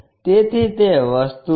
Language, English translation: Gujarati, So, those are the thing